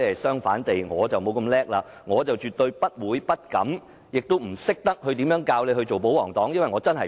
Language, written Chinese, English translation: Cantonese, 相反，我沒有這麼厲害，我絕對不會、不敢、不懂如何教導他做保皇黨。, On the contrary I am not that remarkable . I absolutely will not dare not and do not know how to teach him to be a royalist